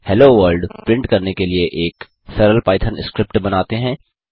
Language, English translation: Hindi, Let us create a simple python script to print hello world